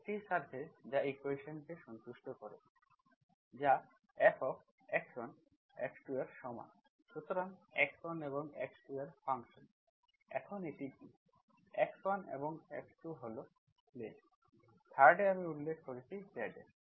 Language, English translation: Bengali, A surface, surface that satisfies equation, surface, right, that is equal to F of x1 and x2, so function of x1 and x2, now what is that, x1 and x2 is the plane, 3rd I mention is Z